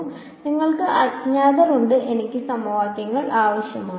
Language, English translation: Malayalam, So, you there are n unknowns I need n equations right